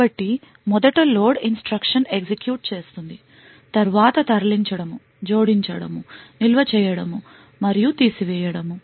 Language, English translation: Telugu, So, firstly load instruction executes, then move, add, store and subtract